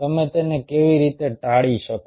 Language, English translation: Gujarati, how you can avoid it